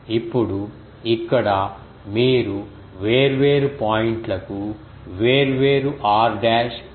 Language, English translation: Telugu, Now, here you see different points will have different r dash